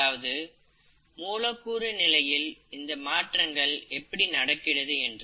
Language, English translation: Tamil, What is the molecular mechanism which is causing these variations